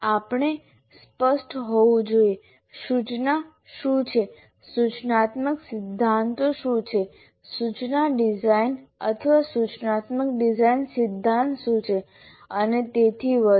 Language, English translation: Gujarati, Now, we have to be clear about what is instruction, what are instructional principles, what is instruction design or instruction design theory and so on